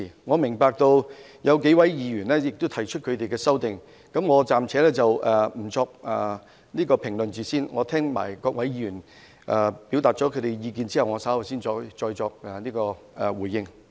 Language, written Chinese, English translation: Cantonese, 我明白有數位議員會提出修正案，我暫且不作評論，待我聽取各位議員表達意見後，稍後才再作回應。, I know that a few Members will propose amendments and I will not make any comments for the time being . I will give a response later on after listening to the views presented by Members